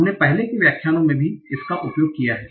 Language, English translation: Hindi, We used this in one of the earlier lectures also